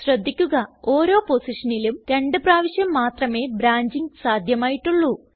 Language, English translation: Malayalam, Note that branching is possible only twice at each position